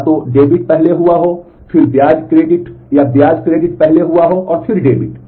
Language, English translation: Hindi, Either debit has first happened, then the interest credit or interest credit it has first happened and then the debit